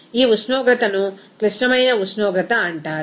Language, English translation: Telugu, This temperature is called the critical temperature